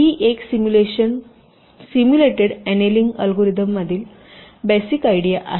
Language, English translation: Marathi, so this is the basis idea behind the simulation, simulated annealing algorithm